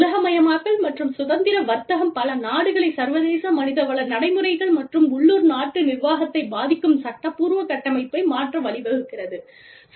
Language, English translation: Tamil, Globalization and freer trade are leading, many countries to change their legal frameworks, which impacts international HR practices, and local country management